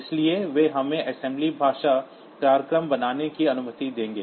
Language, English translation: Hindi, they will allow us to have structured assembly language program